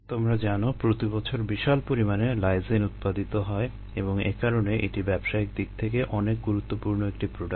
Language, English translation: Bengali, you know, ah, large amounts of ah lysine are produced annually and therefore its a its commercially a very important product